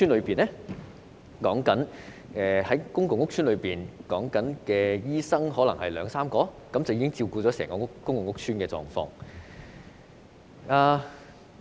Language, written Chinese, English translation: Cantonese, 現時公共屋邨的醫生比例是2至3名醫生，照顧整個屋邨的需要。, The current doctor ratio in public housing estates is two to three doctors to cater for the needs of the entire housing estate